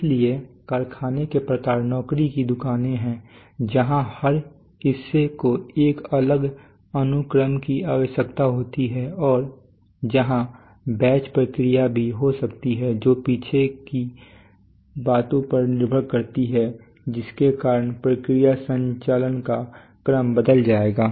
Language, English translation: Hindi, so factory types are job shops, where you know every part requires a different sequence and also could be batch processes were depending on you know back sighs the sequence of process operations will change